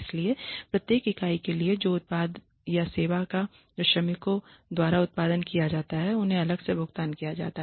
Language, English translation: Hindi, So, for every unit that is of product or service that is produced the workers are paid separately